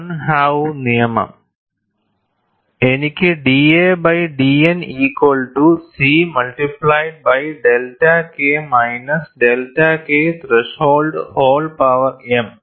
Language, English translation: Malayalam, 20) I have d a by d N equal to C multiplied by delta K minus delta K threshold whole power m